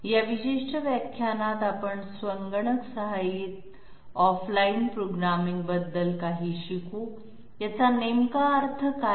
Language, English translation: Marathi, In this particular lecture we will learn something about computer aided off line programming, what does this actually mean